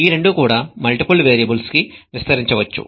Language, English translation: Telugu, Both of these can be extended to multiple variables